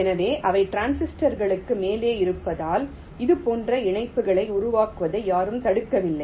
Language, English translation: Tamil, ok, so because they are above the transistors, so no one is preventing you from creating interconnections like this